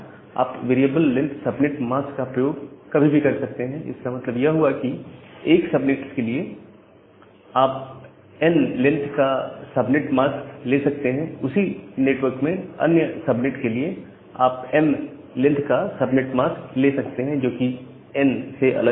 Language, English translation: Hindi, But, CIDR does not restrict you to use this kind of fixed length subnet mask, you can always use variable length subnet mask that means, for one subnet, you can have subnet mask of length n, for another subnet under the same network, you can have subnet mask of say length m, which is different from n